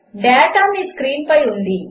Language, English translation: Telugu, The data is on your screen